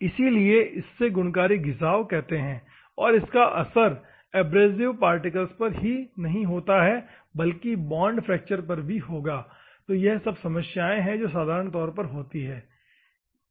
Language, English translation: Hindi, So, this is called attritious wear, and not only abrasive particle only affect there will be the effect of bond fracture also, ok